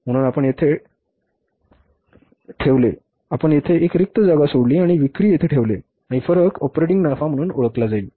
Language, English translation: Marathi, So you put a thing, you leave a blank space here and put here sales and the difference will be called as operating profit